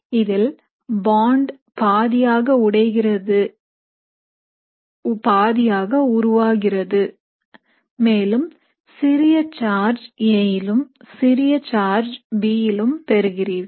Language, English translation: Tamil, So bond partially broken partially formed and you have a small charge on A and a small charge on B